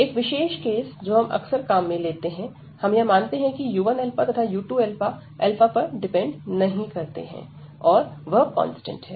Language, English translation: Hindi, So, a particular case which we often use, so we assume that u 1 alpha and u 2 alpha, they do not depend on alpha, so they are constant